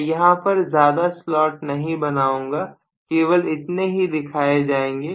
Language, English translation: Hindi, I am not drawing many slots other than this, this is all is the slot I am showing